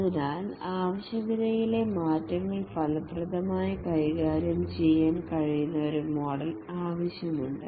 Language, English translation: Malayalam, And therefore there is need for a model which can effectively handle requirement changes